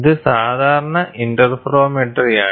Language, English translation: Malayalam, So, this is typical interferometry